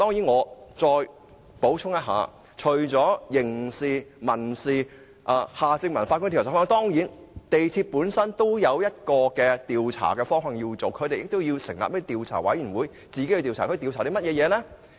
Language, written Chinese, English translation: Cantonese, 我再補充一下，除了刑事責任、民事責任，以及前法官夏正民的調查方向外，港鐵公司也應成立委員會進行調查，調查甚麼？, Furthermore leaving aside the questions on criminal liability and civil liability and the direction of inquiry of former Judge Mr Michael John HARTMANN MTRCL should also set up a committee to conduct an inquiry . What should be inquired into by that committee?